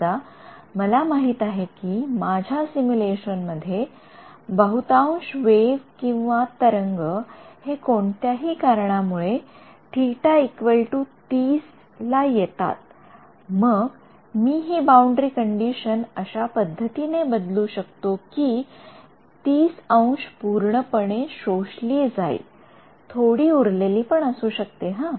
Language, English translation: Marathi, Supposing I know in that my simulation most of my waves are going to come at 30 degrees for whatever reason then, I can change this boundary condition such that 30 degrees gets absorbed perfectly, the rest will have some also, yeah